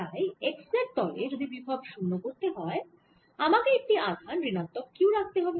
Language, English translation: Bengali, so if i want to make the potential zero on this x z plane, then i should be putting a minus q charge